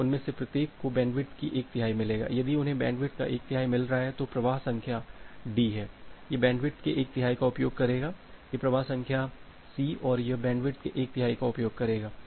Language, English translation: Hindi, So, each of them will get one third of the bandwidth if they are getting one third of the bandwidth, the flow which is this flow number D, it will use one third of the bandwidth, this flow number C and it will use the one third of the bandwidth